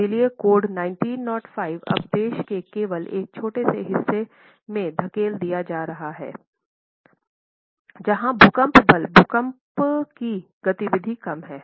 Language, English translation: Hindi, So, our code IS 1905 is now getting pushed to only a small part of the country, part of the country where you know that the earthquake force earthquake activity is low